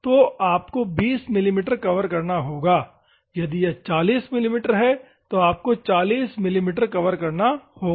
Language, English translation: Hindi, So, you have to cover 20 mm, if it is 40 mm, you have to cover 40 mm